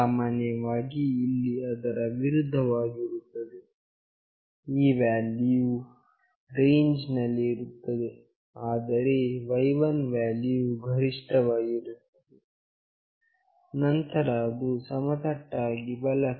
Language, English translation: Kannada, Similarly, here it will be the opposite; this value is in this range, but y1 value is highest, then it is horizontally right